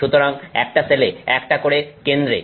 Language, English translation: Bengali, So, one center, one per cell